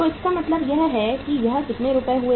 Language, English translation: Hindi, So it means it is rupees how much